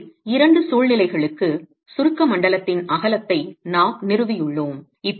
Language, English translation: Tamil, So, we have established the width of the compressed zone for the two situations